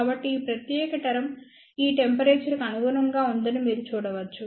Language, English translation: Telugu, So, you can see that this particular term corresponds to this temperature